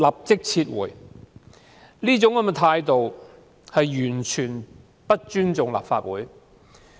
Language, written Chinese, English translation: Cantonese, 政府這種態度，完全不尊重立法會。, Such attitude shows that the Government has no respect for the Legislative Council at all